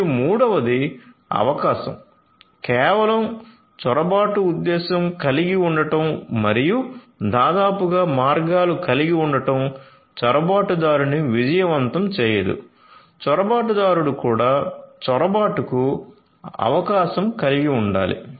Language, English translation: Telugu, And third is the opportunity, merely having the motive to intrude and nearly having the means is not going to make the intruder successful, the intruder should also have the opportunity for intrusion